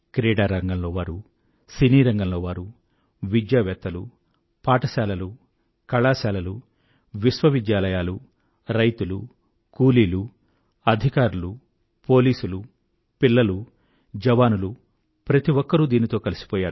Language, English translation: Telugu, Whether it be people from the sports world, academicians, schools, colleges, universities, farmers, workers, officers, government employees, police, or army jawans every one has got connected with this